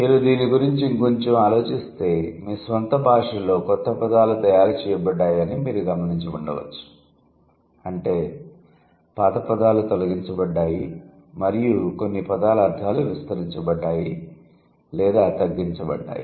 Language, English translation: Telugu, I am sure if you think about it in a for a while in your own language you might have noticed that new words have been a part of it, old words have been deleted and there are certain words whose meanings have been broadened or it has been narrowed down